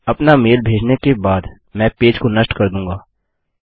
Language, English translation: Hindi, After sending our mail Ill just kill the page